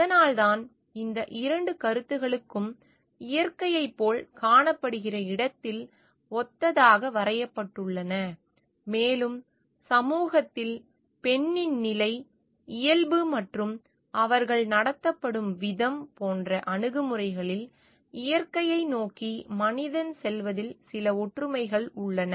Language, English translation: Tamil, That is why these 2 concepts have been like drawn to be analogous where it is found to be like the nature and the position of the woman in society and the nature and the and the way that they are treated have certain similarity of the attitude of human being towards the nature at large